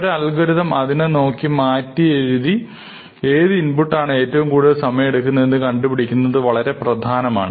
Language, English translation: Malayalam, So, it is important to be able to look at an algorithm and try to reconstruct what input to drive it to take the maximum amount of time